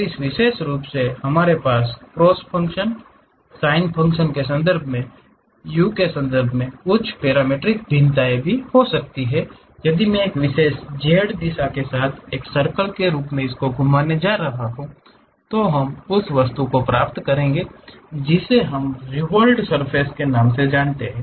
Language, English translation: Hindi, And, especially we have some parametric variation r of z in terms of u in terms of cos functions sin functions if I am going to revolve as a circle along one particular z direction, we will get the object which we call revolved surfaces